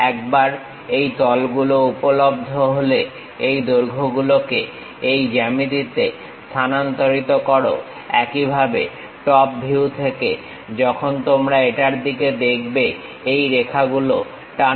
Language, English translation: Bengali, Once this planes are available, transfer these lengths onto this geometry, similarly from the top view when you are looking at it drop these lines